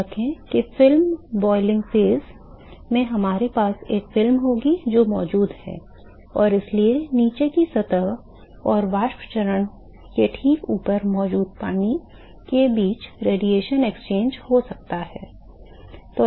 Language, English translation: Hindi, Remember that in the film boiling phase we will have a there is a film which is present and so, there could be radiation exchange between the bottom surface and the water which is present just above the vapor phase ok